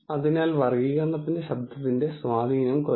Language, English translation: Malayalam, So, the effect of noise on classification can become less